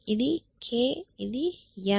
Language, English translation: Telugu, So, this is k and this is n